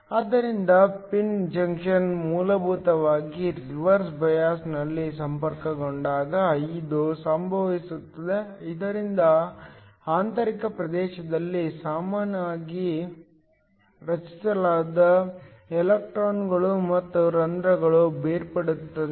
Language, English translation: Kannada, So, this happens when the pin junction is essentially connected in reverse bias, so that electrons and holes that are typically created in the intrinsic region gets separated